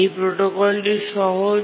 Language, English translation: Bengali, And that's the simple protocol